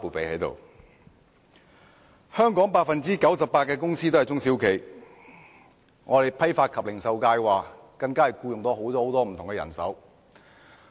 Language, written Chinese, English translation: Cantonese, 香港 98% 的公司都是中小企，我所代表的批發及零售界更僱用了很多員工。, SMEs account for 98 % of companies in Hong Kong and the wholesale and retail sector which I represent has taken on a large number of employees